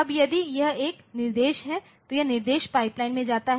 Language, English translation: Hindi, Now, if it is an instruction it goes to the instruction pipeline